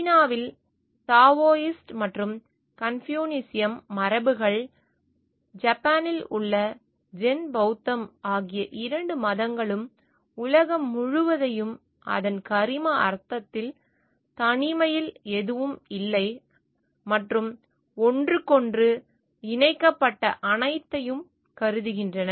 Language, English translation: Tamil, Taoist and Confucianism traditions in China, Zen Buddhist in Japan both these religions consider whole world in it is organic sense with nothing existing in isolation and everything connected to each other